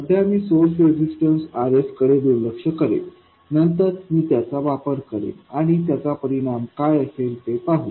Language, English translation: Marathi, For now I will ignore the source resistance RS, later I will put it in and see what the effect is